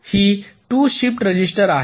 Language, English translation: Marathi, this is the shift register